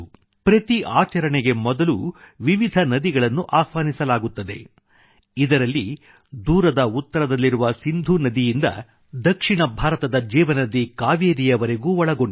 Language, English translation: Kannada, The various rivers in our country are invoked before each ritual, ranging from the Indus located in the far north to the Kaveri, the lifeline of South India